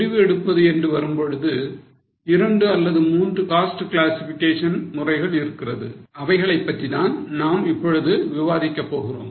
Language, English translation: Tamil, When it comes to decision making, there were two, three cost classifications which are the ones which we are going to discuss now